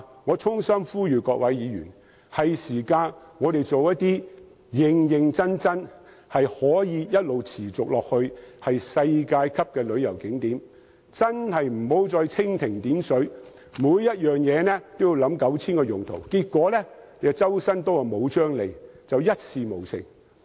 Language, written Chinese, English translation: Cantonese, 我衷心呼籲各位議員，我們是時候認真興建一些可持續的世界級旅遊景點，真的不要再蜻蜓點水，妄想每項設施都有 9,000 個用途，但結果"周身刀卻無張利"，一事無成。, I sincerely call on Members to support my amendment . It is high time for Hong Kong to seriously consider developing some world - class tourist attractions which are sustainable . We should no longer adopt a superficial approach and seek to develop tourist attractions that are supposedly multi - functional but end up being neither fish nor fowl